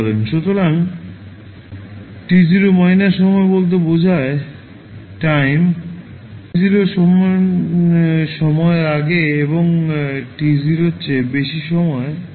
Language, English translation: Bengali, So, t 0 minus denotes the time just before time t is equal to 0 and t 0 plus is the time just after t is equal to 0